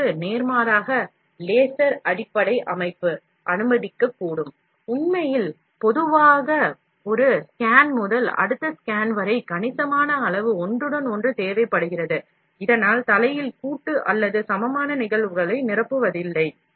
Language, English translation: Tamil, In contrast, laser base system can permit, and in fact generally require, a significant amount of overlap, from one scan to the next, and thus, there are no head collusion or overfilling equivalent phenomena